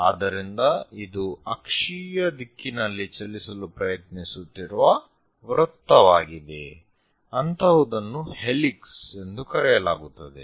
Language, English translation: Kannada, So, basically it is a circle which is trying to move in the axial direction; such kind of things are called helix